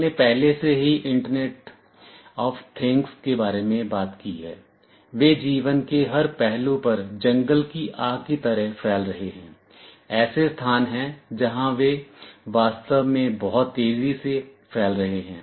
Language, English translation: Hindi, We have already talked about internet of things, they are spreading like wildfire across every aspect of a life, there are places where they are really spreading very fast